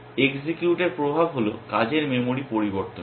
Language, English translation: Bengali, The effect of execute is to change the working memory